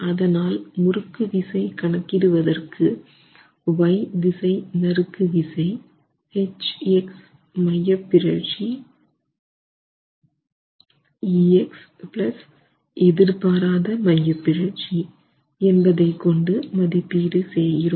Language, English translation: Tamil, So, the estimate of the torsional shear is the shear force in the Y direction H into the eccentricity that we have estimated EX plus an accidental eccentricity